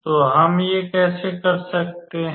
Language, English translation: Hindi, So, how can we do that